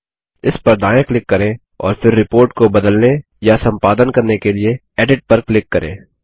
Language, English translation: Hindi, Let us right click on click on Edit to open the report for modifying or editing